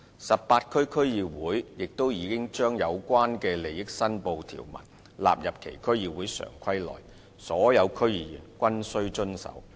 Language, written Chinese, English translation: Cantonese, 18區區議會亦已將有關利益申報的條文納入其《區議會常規》內，所有區議員均須遵守。, The provisions concerning declaration of interests have been incorporated by the 18 DCs into their District Council Standing Orders for compliance by DC members